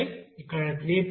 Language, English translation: Telugu, 5, here 3